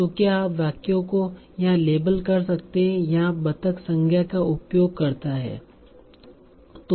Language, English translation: Hindi, So can you label the sentences here where duck has been used as a noun